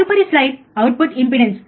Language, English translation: Telugu, The next slide is a output impedance